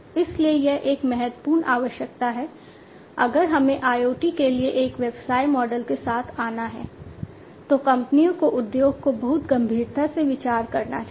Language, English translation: Hindi, So, this is a very important requirement, if we have to come up with a business model for IoT the companies should, the industry should consider this very seriously